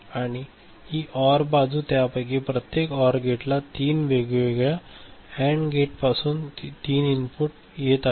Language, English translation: Marathi, And, this OR, I mean, this side this OR, this; each one of them are OR gate has three input from three different AND gates ok